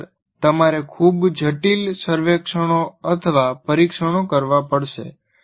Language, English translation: Gujarati, Otherwise, you have to do very complicated surveys and tests